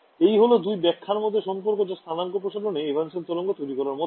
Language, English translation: Bengali, So, this is the connection between the two interpretations that coordinate stretching is the same as generating evanescent waves ok